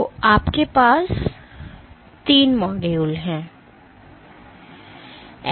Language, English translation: Hindi, So, you have three modules